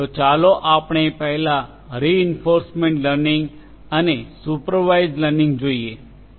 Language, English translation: Gujarati, So, let us take up reinforcement and supervised learning first